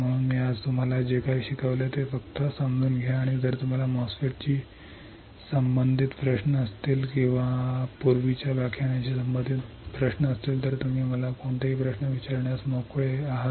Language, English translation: Marathi, So, just understand whatever I have taught you today, and if you have questions related to MOSFET or related to earlier lectures You are free to ask me any query all right